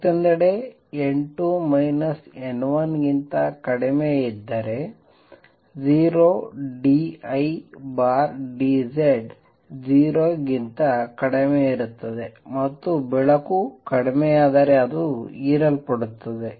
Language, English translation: Kannada, On the other hand if n 2 minus n 1 is less than 0 d I by d Z is going to be less than 0 and the light gets diminished it gets absorbed